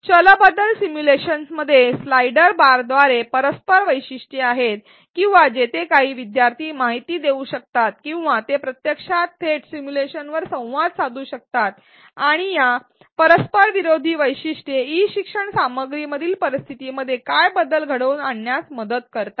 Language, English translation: Marathi, Variable manipulation simulations have interactive features via slider bars or where learners can input some numbers or they can actually directly interact with the simulation and these interactive features help them manipulate what if scenarios in the e learning content